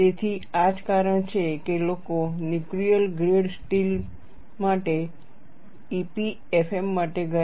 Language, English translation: Gujarati, So, that is the reason why people went for EPFM for nuclear grade steel